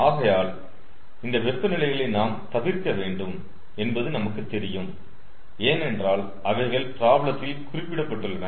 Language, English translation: Tamil, so these are known that we have to avoid by these temperatures because they are specified by the problem